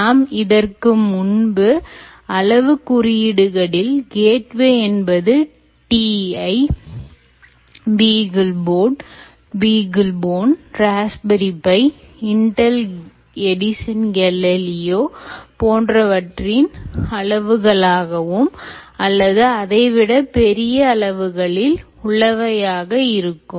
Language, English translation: Tamil, ah, good, essentially, not just look like the size of ah, what we mentioned, like t i, beagleboard, beaglebone, or raspberry pi, or intel, edison, galileo, any one of them, but actually a little more bigger